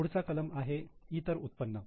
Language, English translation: Marathi, Next is other income